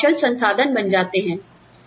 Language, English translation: Hindi, Your skills become the resource